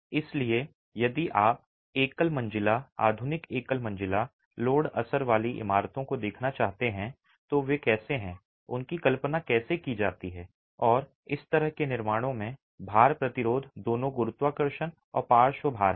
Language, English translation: Hindi, So, if you were to look at single storied, modern single storied load bearing buildings, how do they, how are they conceived and how is the load resistance, both gravity and lateral load in such constructions